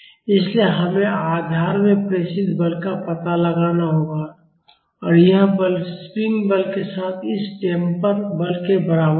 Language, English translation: Hindi, So, we have to find out the force transmitted to the support and this force will be equal to the force in the spring plus the force in this damper